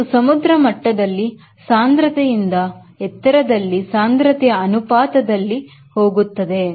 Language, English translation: Kannada, it goes with the ratio of density at altitude by the density at sea level